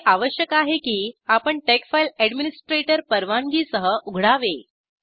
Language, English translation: Marathi, It is required that we open the tex file with administrator privileges